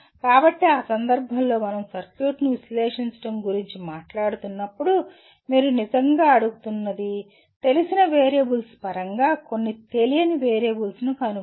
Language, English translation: Telugu, So in that case when we are talking about analyzing the circuit what you really are asking for determine some unknown variable in terms of known variables